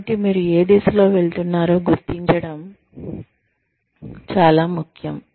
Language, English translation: Telugu, So, it is very important to identify, which direction, you are going to be taking